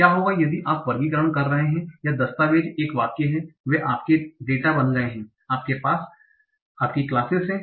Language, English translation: Hindi, The documents or the sentences, if you are doing classification over documents or sentences, they become your data and you have your classes